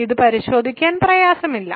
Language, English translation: Malayalam, So, this is not difficult to check